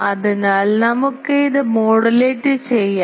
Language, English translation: Malayalam, So, let us with this let us modulate that